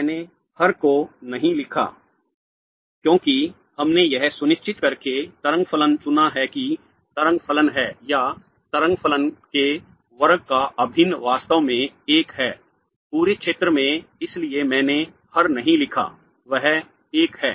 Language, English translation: Hindi, I didn't write the denominator because we have chosen the wave function by ensuring that the way function is the integral of the square of the wave function is actually 1 in the entire region therefore I didn't write the denominator that's 1